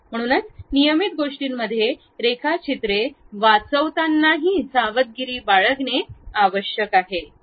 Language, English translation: Marathi, So, one has to be careful even at saving the drawings at regular things